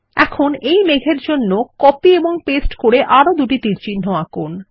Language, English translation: Bengali, Now lets copy and paste two arrows to the other cloud